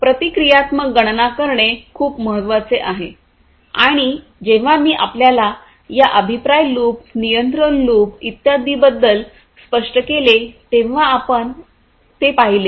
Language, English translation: Marathi, Reactive computation is very important and that we have seen when I explained to you about this feedback loop, the control loop and so on